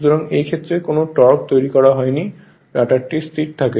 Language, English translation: Bengali, So, in this case you are there no torque developed and the rotor continues to be stationary